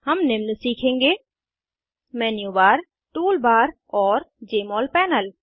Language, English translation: Hindi, We will learn about Menu Bar, Tool bar, and Jmol panel